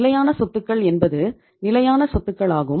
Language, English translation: Tamil, Fixed assets are fixed assets